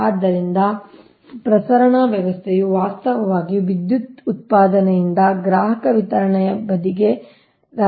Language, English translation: Kannada, so transmission system actually transmits power from the generating to the consumer distribution side